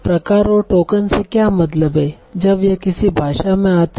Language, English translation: Hindi, So what do I mean by type and token when it comes to a language